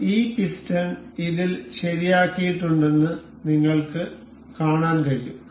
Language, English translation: Malayalam, So, you can see that this piston has been fixed in this